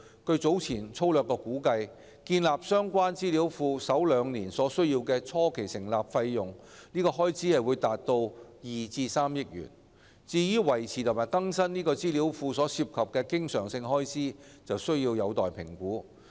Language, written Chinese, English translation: Cantonese, 據早前粗略估計，建立相關資料庫首兩年所需的初期成立開支達2億元至3億元；至於維持和更新該資料庫所涉的經常性開支，則有待評估。, The initial start - up cost of building up the database will be as high as 200 million to 300 million for the first two years based on a rough estimation earlier whilst the recurrent expenditure on maintaining and updating the database is yet to be estimated